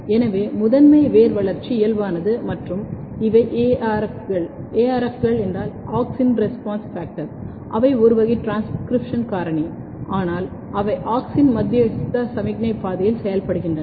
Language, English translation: Tamil, So, primary root development is normal and these are ARF’s, ARF’s are Auxin Response Factor they are also a class of transcription factor, but they works in the auxin mediated signalling pathway